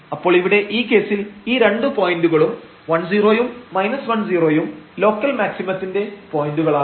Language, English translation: Malayalam, So, in this case these 2 points plus 1 0 and minus 1 0 these are the points of local maximum